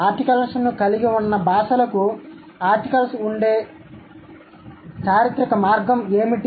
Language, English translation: Telugu, What is the historical pathway by which languages which have articles, they had articles